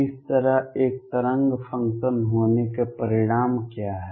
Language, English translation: Hindi, What are the consequences of having a wave function like this